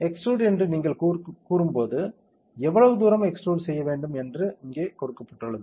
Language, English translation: Tamil, When you tell extrude, how much distance do you want extrude that is given here